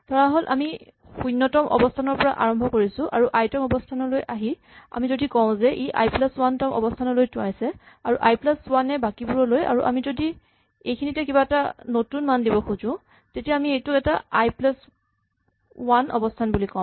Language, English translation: Assamese, Suppose, we start at 0th position and may come to the ith position and currently if we say that the ith position points to the i plus 1th position which point to the rest, and suppose we want to insert something here, then it is quite simple we just say that this is the new i plus 1th position